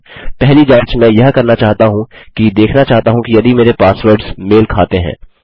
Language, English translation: Hindi, The first check I want to do is to see if my passwords match